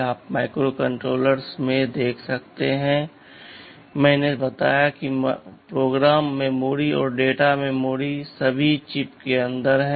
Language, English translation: Hindi, You see in microcontrollers I told that memory what program memory and data memory are all inside the chip